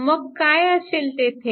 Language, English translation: Marathi, So, what will be there